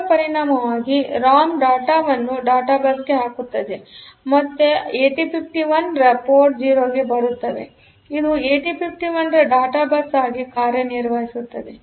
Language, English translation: Kannada, So, as a result the ROM will put the data on to the data bus and this they will come to again the port 0 of 8051; which is acting as the data bus for the 8051; the external data bus for the 8051